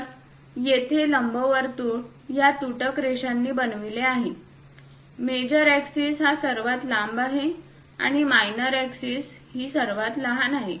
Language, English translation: Marathi, So, here ellipse is shown by these dashed lines; the major axis is this longest one, and the minor axis is this shortest one